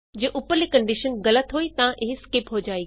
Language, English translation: Punjabi, If the above condition is false then it is skipped